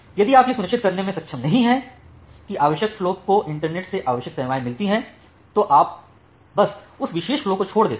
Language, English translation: Hindi, If you do not able to ensure that the required flow get the required services from the internet, then you simply drop that particular flow